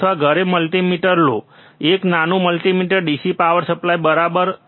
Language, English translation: Gujarati, oOr get the multimeter at home, a small multimeter, a DC power supply, right